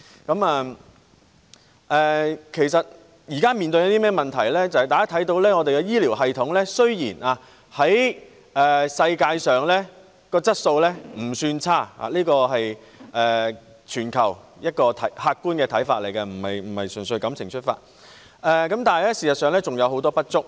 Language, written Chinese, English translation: Cantonese, 現時的問題是，雖然香港醫療系統的質素在世界上不算差——這是全球的一個客觀看法，我不是純粹感情出發——但事實上仍有很多不足之處。, The present problem is that though the quality of Hong Kongs health care system does not compare unfavourably with other places in the world―this is an objective view held globally rather than my sentimental judgment―it still has a lot of shortcomings actually